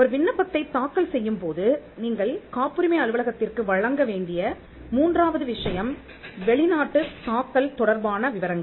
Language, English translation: Tamil, Third thing that you need to provide to the patent office while filing an application is, details with regard to foreign filing